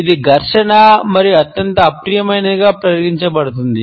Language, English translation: Telugu, It is considered to be confrontational and highly offensive